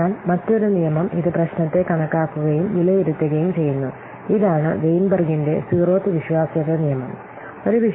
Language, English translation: Malayalam, So, the another law is that guides this over and underestimating problem is that Weenberg's zeroth law of reliability